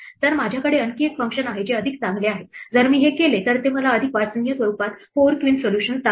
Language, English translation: Marathi, So, I have another function which is called pretty if I do this then it shows me the 4 queen solution in a more readable form right